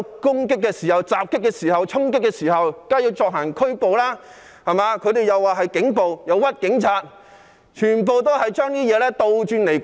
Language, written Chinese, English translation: Cantonese, 警員在受到襲擊及衝擊時，當然要進行拘捕，但他們卻將這說成是警暴，誣衊警員，把事情全部倒轉來說。, In the face of attacks or charging acts police officers would certainly make arrests . However the opposition camp described this as police brutality and slung mud at police officers by calling black white